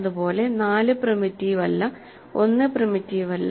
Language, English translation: Malayalam, Similarly, 4 is not primitive, 1 is not primitive